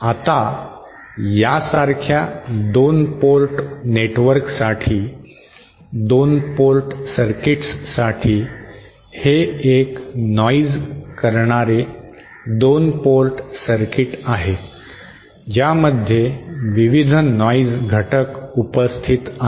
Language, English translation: Marathi, Now for 2 port network like this so for 2 port circuits, this is a noisy 2 port circuit various noise elements present